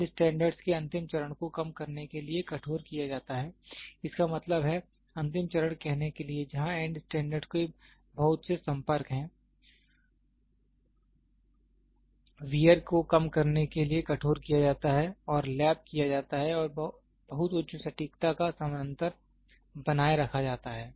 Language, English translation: Hindi, The end phase of the end standard are hardened to reduce so; that means, to say the end phase where there is lot of contact the end phase of the end standard are hardened to reduce the wear and lapped and parallel to very high accuracy is maintained